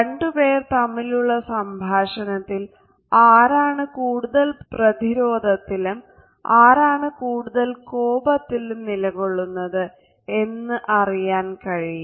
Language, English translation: Malayalam, In the dialogue of the two people which of the two is being defensive and which one is being aggressive